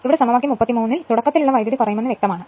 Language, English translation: Malayalam, Now, for equation 33 it is clear that starting current will reduce right